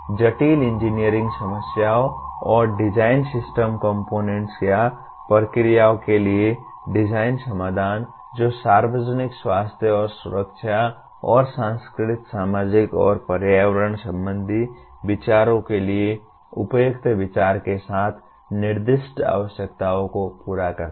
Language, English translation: Hindi, Design solutions for complex engineering problems and design system components or processes that meet the specified needs with appropriate consideration for the public health and safety and the cultural, societal and environmental considerations